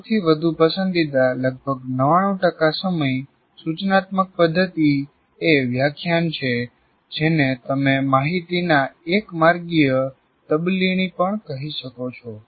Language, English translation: Gujarati, And the most preferred or the most 99% of the time the instruction method is really lecturing, which you can also call one way transfer of information